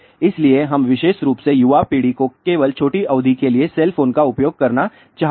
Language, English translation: Hindi, So, we want specially the younger generation to use cell phone only for short duration